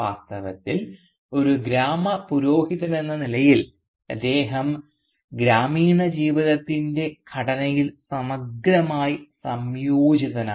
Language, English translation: Malayalam, In fact as a village priest he is thoroughly integrated within the structure of the village life